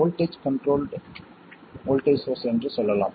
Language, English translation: Tamil, Let's say voltage controlled voltage source